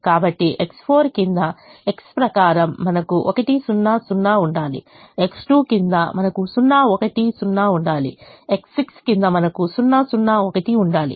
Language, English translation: Telugu, so according to x under x four, we should have one zero, zero under x two we should have zero one